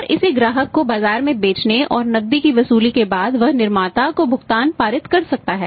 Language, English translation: Hindi, And after selling it in the market to the customer and recovering the cash he can pass on the payment to the manufacture